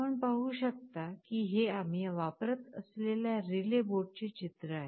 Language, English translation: Marathi, As you can see this is a picture of the relay board that we shall be using